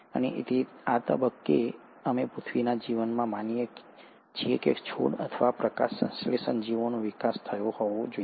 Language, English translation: Gujarati, And it's at this stage, we believe in earth’s life that the plants or the photosynthetic organisms must have evolved